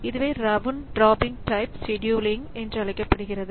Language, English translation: Tamil, So, this is known as round robin type of scheduling